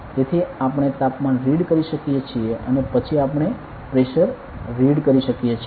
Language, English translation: Gujarati, So, we can read the Temperature, then also we can read the Pressure ok